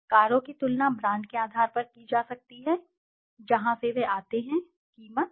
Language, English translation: Hindi, Cars can be compared on the basis of the brand, from where they come, the price, the efficiency